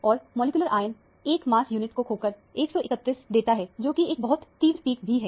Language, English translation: Hindi, And, the molecular ion losses 1 mass unit to give 131, which is also a very intense peak